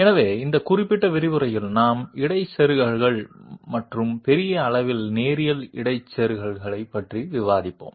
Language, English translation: Tamil, So in this particular lecturer we will be discussing somewhat about interpolators and to a large extent linear interpolators